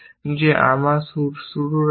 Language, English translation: Bengali, That is my starting state